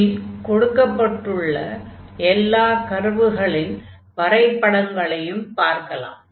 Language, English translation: Tamil, So, let us look at the graphs of all these curves